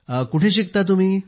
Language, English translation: Marathi, And where do you study